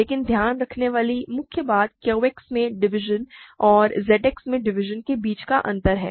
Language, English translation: Hindi, But main thing to keep in mind is the difference between division in Q X and division in Z X